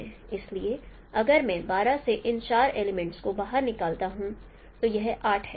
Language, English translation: Hindi, So if I take out these four elements from 12, it remains 8